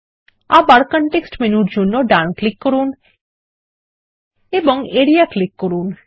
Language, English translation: Bengali, Again, right click for the context menu and click Area